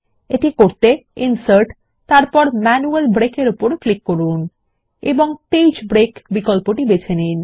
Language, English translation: Bengali, This is done by clicking Insert Manual Break and choosing the Page break option